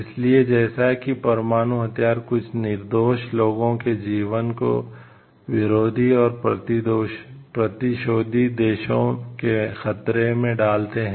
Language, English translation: Hindi, So, as nuclear weapons claims the lives of some innocent people both in the opponent and in the retaliatory countries at risk